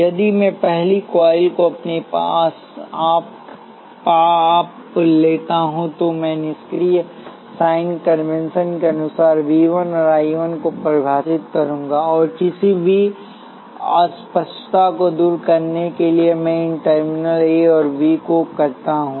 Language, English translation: Hindi, If I take the first coil by itself, I will define V 1 and I 1 according to the passive sign convention and to remove any ambiguity, let me call these terminals A and B